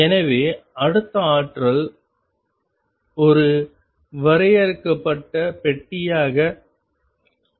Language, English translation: Tamil, So, the next potential we consider as a finite box